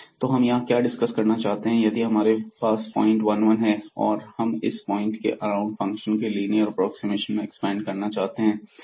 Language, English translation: Hindi, So, what you want to discuss here that if we have this 1 1 point for example, and we are expanding this function around this point by a linear approximation